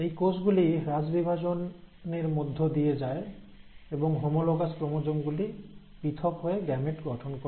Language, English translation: Bengali, So, these cells will undergo the process of reduction division and the homologous chromosomes will get segregated into the gametes